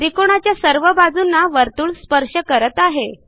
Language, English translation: Marathi, We see that the circle touches all the sides of the triangle